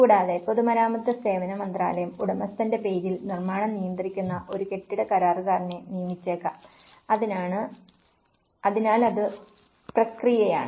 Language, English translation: Malayalam, And also, a building contractor would may be hired by the Ministry of Public Works and services who manages the construction on behalf of the owner, so that is process